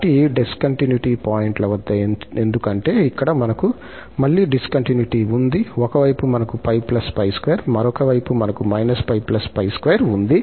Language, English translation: Telugu, So, at these points of discontinuity, because here, we have again the discontinuity, at one side we have pi plus pi square, other side we have minus pi plus pi square